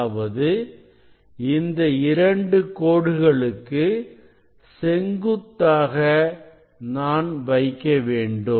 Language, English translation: Tamil, I can do it in different way actually if I want to set perpendicular to this two lines